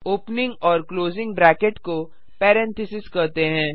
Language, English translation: Hindi, The opening and the closing bracket is called as Parenthesis